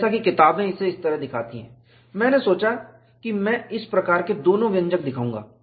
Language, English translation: Hindi, As books show it like this, I thought I would show both these type of expressions